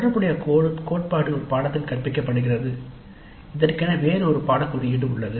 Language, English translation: Tamil, The corresponding theory is taught in a course which is a different course code